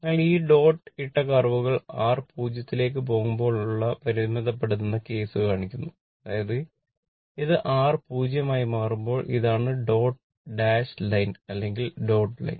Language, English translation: Malayalam, So, that dotted curves shows in the your limiting case the R tends to 0; that means, this one when R tends to 0 this is the dot dash line right or dotted line